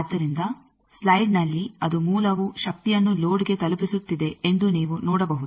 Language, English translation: Kannada, So, in the slide you can see that the source it is delivering power to the load